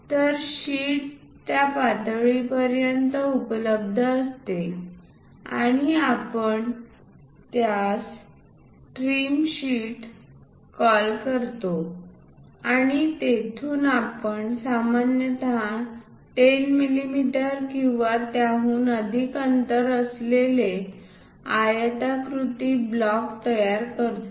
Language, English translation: Marathi, So, the sheet is available up to that level and we are calling that one as the trim sheet and from there usually we construct a rectangular block with minimum spacing as 10 mm or more